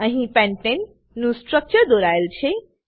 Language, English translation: Gujarati, Here the structure of pentane is drawn